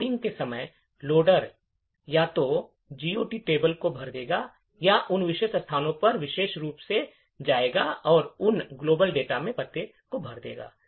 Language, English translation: Hindi, Further at the time of loading, the loader would either fill the GOT table or go specifically to those particular locations and fill addresses in those global data